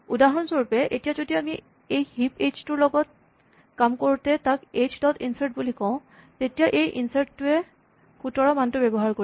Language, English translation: Assamese, For instance, if we are dealing with this heap h, when we say h dot insert then this insert is using the value 17